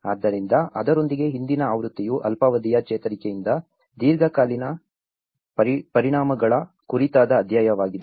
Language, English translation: Kannada, So, the earlier version with that was a chapter on long term impacts from the short term recovery